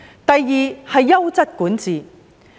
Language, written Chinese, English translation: Cantonese, 第二，是優質管治。, The second indicator is quality governance